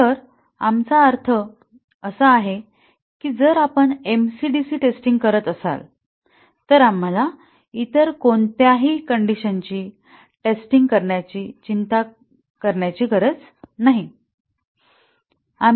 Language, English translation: Marathi, So, what we really mean by this is that if we are doing MC/DC testing, we do not have to worry about any other condition testing